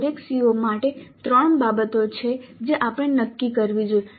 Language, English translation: Gujarati, For each CO there are three things that we must decide